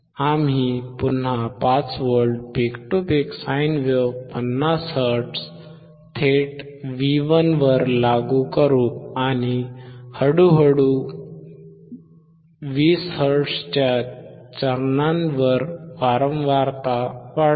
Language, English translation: Marathi, We will again apply a 5 V peak to peak sine wave from 50 hertz directly at V 150 hertz directly at V1 and slowly increase the frequency at steps of 20 hertz